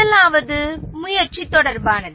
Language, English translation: Tamil, The first one is with respect to motivation